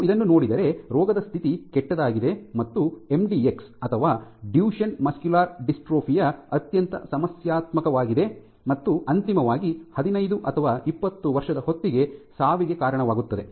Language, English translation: Kannada, So, this is in terms of the disease condition becoming worse and worse mdx or Duchene muscular dystrophy is the most disruptive, and it causes eventually leads to death by age of 15 or 20